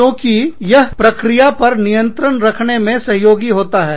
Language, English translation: Hindi, Because, that helps, keep processes in check